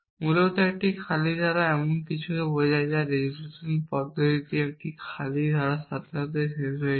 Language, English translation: Bengali, Basically an empty clause stands for something which is false in the resolution method terminates with an empty clause